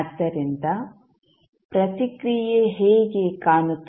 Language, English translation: Kannada, So, how the response would look like